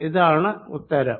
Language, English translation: Malayalam, that's my answer